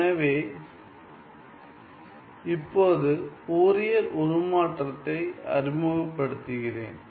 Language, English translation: Tamil, So, let me now introduce the Fourier transform